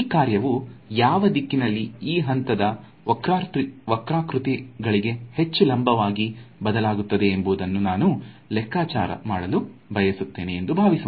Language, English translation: Kannada, Supposing I want to calculate in what direction does this function change the most perpendicular to this level curves right